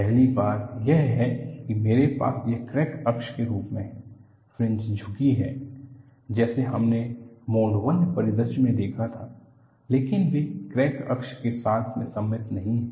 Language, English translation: Hindi, First thing is, I have this as a crack axis; the fringes are tilted like what we saw in the mode 1 scenario, but they are not symmetrical about the crack axis